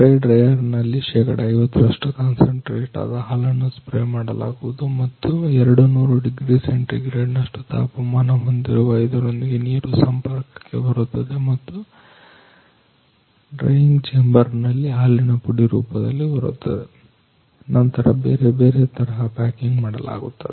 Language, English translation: Kannada, In a spray drier concentrated 50 percent concentrated milk is sprayed and water is coming in a contact with it is having a around 200 degree centigrade temperature both are coming in a contact and it comes under the drying chamber in a form of powder milk powder, then it is packed into the different type of packing